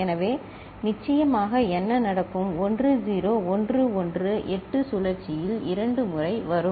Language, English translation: Tamil, So, what will happen of course 1 0 1 1 will come in one cycle of 8 twice